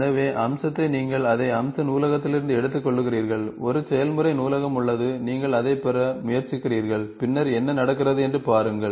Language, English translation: Tamil, So, feature, you pick it up from the feature library is there, a process library is there, you try to get and then see what is going on